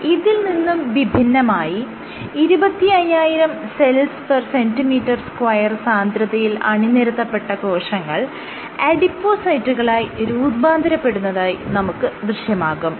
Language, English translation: Malayalam, In contrast, at the cell seeding density of 25000 per square centimeter square you have differentiation into adipocytes